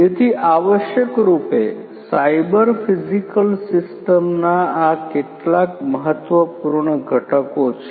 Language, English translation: Gujarati, So, essentially these are some of these important components of a cyber physical system as well